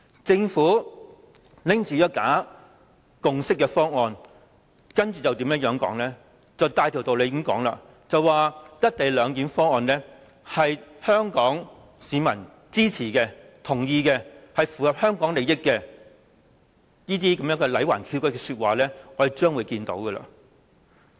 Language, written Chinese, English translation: Cantonese, 政府持着這份假共識的方案，接着便可以大條道理地說，"一地兩檢"方案得到香港市民的支持和同意，符合香港利益等，這些歪曲事實的說話，我們將可聽得到。, Well with the bogus consensus obtained for its proposal the Government can then claim very righteously that the co - location arrangement can command Hong Kong peoples support and endorsement and serve the interest of Hong Kong . We will certainly hear such words words that distort the fact